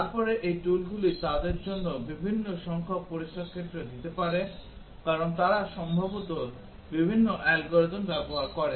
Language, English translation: Bengali, Then these tools may give different number of test cases for them because they possibly use different algorithms